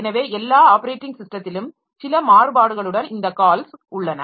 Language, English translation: Tamil, So, all operating systems will have some variant or the other of these calls